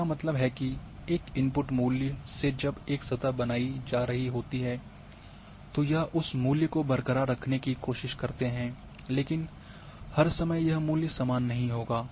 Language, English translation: Hindi, That means, that a the input value when a surface is being created it tries to have that value intact as far as possible, but not all the time it would have the same value